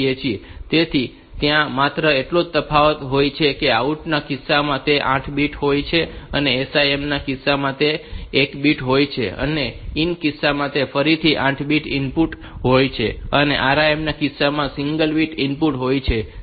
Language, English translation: Gujarati, So, only difference is that in case of out it is 8 bit and in case of SIM it is one bit, in case of in it is again 8 bit input, in case of RIM it is single bit input